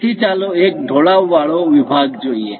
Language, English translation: Gujarati, So, let us look at an inclined section